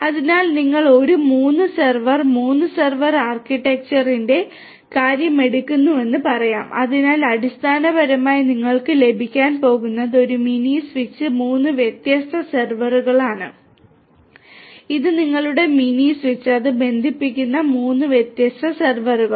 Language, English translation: Malayalam, So, let us say that you take the case of a 3 server, 3 server architecture so, here basically what you are going to have is one mini switch with three different servers 3 different servers this is your mini switch and 3 different servers to which it connects